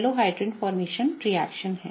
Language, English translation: Hindi, So, this is a Halohydrin formation reaction